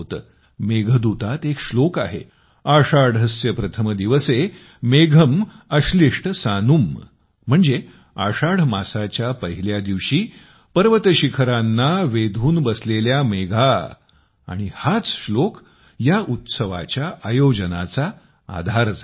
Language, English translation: Marathi, There is a verse in Meghdootam Ashadhasya Pratham Diwase, Megham Ashlishta Sanum, that is, mountain peaks covered with clouds on the first day of Ashadha, this verse became the basis of this event